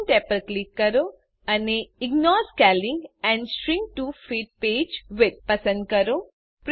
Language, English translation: Gujarati, Click the Options tab and select Ignore Scaling and Shrink To Fit Page Width